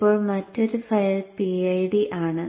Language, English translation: Malayalam, And then the other file is the PID